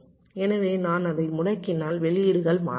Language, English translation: Tamil, so if i disable it, then the outputs will not change